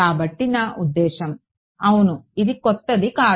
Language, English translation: Telugu, So, I mean yeah this is not new